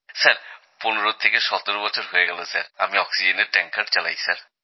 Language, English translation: Bengali, I've been driving an oxygen tanker for 15 17 years Sir